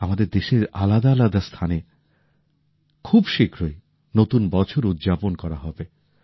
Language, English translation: Bengali, New year will also be celebrated in different regions of the country soon